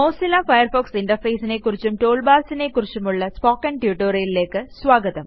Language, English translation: Malayalam, Welcome to the Spoken Tutorial on the Mozilla Firefox Interface and Toolbars